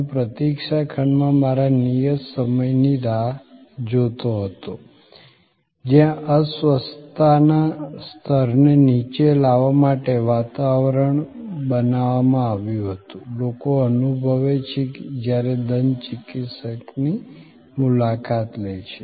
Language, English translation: Gujarati, I waited for my appointed time in the waiting room, where the ambiance was created to, sort of bring down the anxiety level, which people feel when they visit the dentist